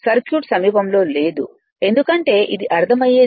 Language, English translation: Telugu, Circuit is not the near because, it is understandable and I m is equal to 1 upon X m